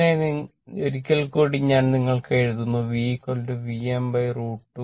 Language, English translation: Malayalam, So, once again i am writing for you V is equal to V m by root 2